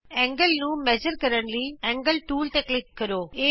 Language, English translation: Punjabi, To measure the angle, click on the Angle tool